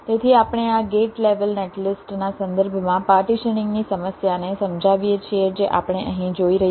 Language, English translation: Gujarati, so we illustrate the problem of partitioning with respect to this gate level netlist that we are seeing here